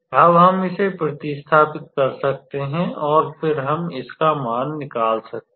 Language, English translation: Hindi, Now, we can substitute this and then we get the value out of it